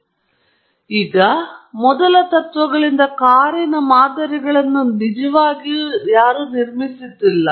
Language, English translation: Kannada, We are not really building a model of the car from first principles